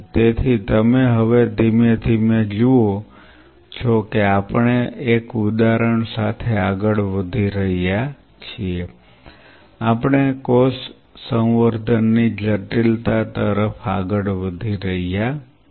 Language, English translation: Gujarati, So, you see now slowly we are moving with one example we are moving to the complexity of cell culture